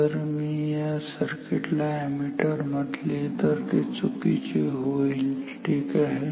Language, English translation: Marathi, This circuit, if I call this circuit an ammeter this as an ammeter is absolutely wrong ok